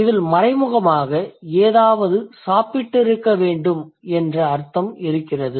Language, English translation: Tamil, Implicitly there is a meaning you must have eaten something